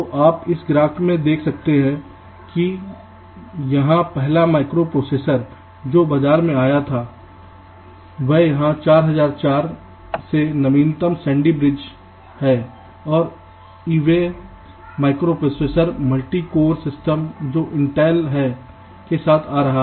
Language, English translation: Hindi, so you can see in this graph that he of from the first micro processor that came to the market, it is here four, zero, zero, four, up to the latest sandy i v micro processor, multi code systems, which intel is coming up with